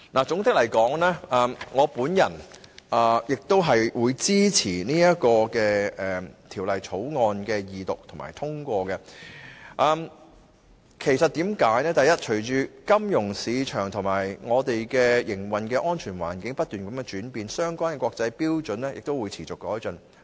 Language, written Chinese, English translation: Cantonese, 總括而言，我支持《條例草案》的二讀和通過，原因是隨着金融市場和香港的營運安全環境不斷轉變，相關的國際標準亦會持續改進。, All in all I support the Second Reading and passage of the Bill . With the constant changes of the financial market and the operation safety environment of Hong Kong the relevant international standard will also be constantly enhanced